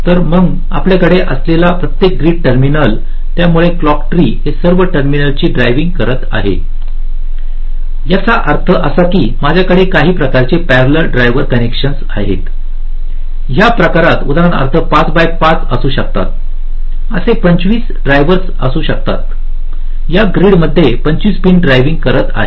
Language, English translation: Marathi, so each of these grid terminals that we have, so the clock tree is driving these terminals, all of them, which means i have some kind of a parallel driver connection there can be, for example, in this case, five by five, there can be twenty five such drivers driving twenty five pins in this grids